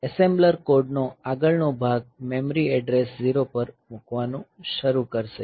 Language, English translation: Gujarati, assembler we will start putting the next piece of code at address zero of the memory